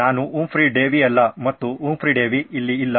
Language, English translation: Kannada, I am not Humphry Davy and Humphry Davy is not here anymore right